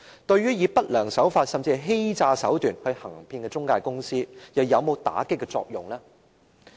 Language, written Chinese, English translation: Cantonese, 對於以不良手法，甚至是以欺詐手段行騙的中介公司而言，這規定又有否打擊作用呢？, As for intermediary companies adopting unscrupulous practices and even fraudulent tactics is this requirement effective in combatting them?